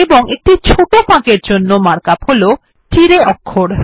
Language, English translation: Bengali, And for the short gap, it is Tiray character